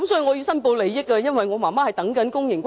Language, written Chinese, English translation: Cantonese, 我要申報利益，我的母親正輪候公營龕位。, I have to declare my interest . My mother is waiting for a public niche